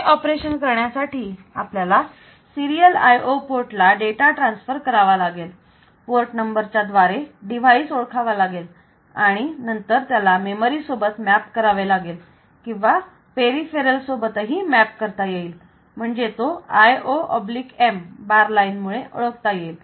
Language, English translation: Marathi, So, to do this operation so we have to we have to transfer we have to look into this serial IO part so with the basic requirements are like this; so need to identify the device through a port number, so this one maybe mapped on to the memory or it may be mapped on to the peripheral so which is identified by that IOM bar line